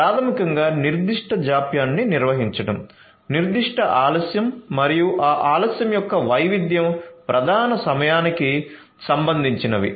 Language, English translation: Telugu, So, basically managing that particular latency, that particular delay and the variability of that delay is what concerns the lead time